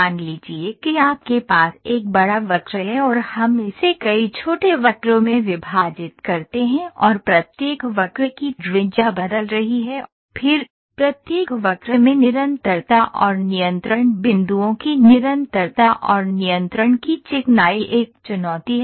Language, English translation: Hindi, Suppose you have a big curve and we have discretizing it into several small curves and the radius of each curve is changing, then the problem of, first getting continuity and then smoothness of the continuity and control points in each arc curve, is a challenge